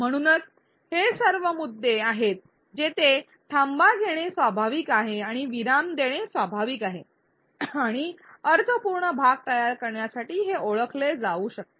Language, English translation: Marathi, So, these are all points where it is natural to take a breath really it is natural to pause and these can be identified to create meaningful chunks